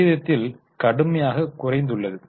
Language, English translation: Tamil, There is a serious fall in the ratio